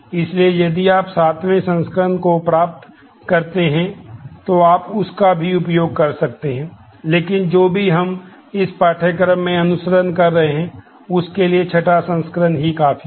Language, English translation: Hindi, So, if you get access to the seventh edition, you can use that as well, but whatever we are following in this course sixth edition is good enough